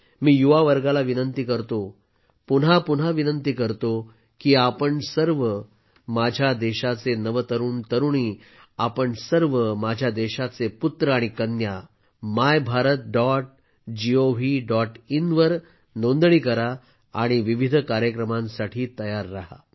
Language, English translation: Marathi, I would urge the youth I would urge them again and again that all of you Youth of my country, all you sons and daughters of my country, register on MyBharat